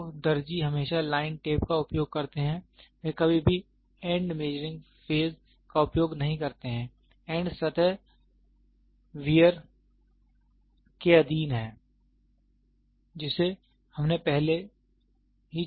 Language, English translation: Hindi, So, the tailor always use line tape, he never use end to end measuring phase of the end surface are subjected to wear which we have already discussed